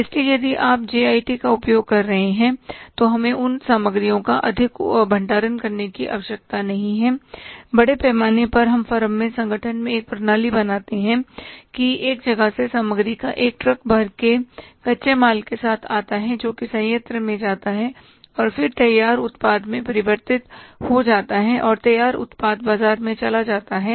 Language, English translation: Hindi, So, if you are using the JIT we don't need to store much of the material with us largely we create a system in the firm in the organizations that from the one side a truckload of material comes with the raw material that means goes to the plant and then converted into the finished product and the finished product goes to the market